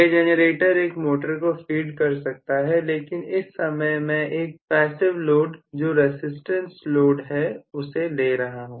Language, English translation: Hindi, The generator could be feeding a motor but right now, I am just taking a passive load which is a resistance load